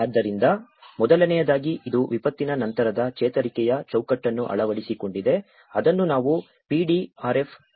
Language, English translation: Kannada, So, first of all, it has adopted a post disaster recovery framework which we call as PDRF